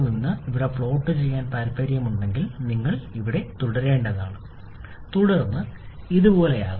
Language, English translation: Malayalam, If you want to plot it here, you have to continue up to this and then somewhat like this